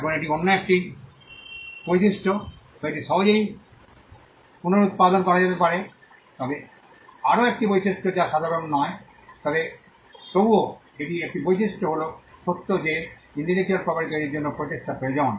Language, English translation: Bengali, Now this is another trait that it can be reproduced easily, yet another trait which is not common, but nevertheless it is a trait is the fact that it requires effort to create intellectual property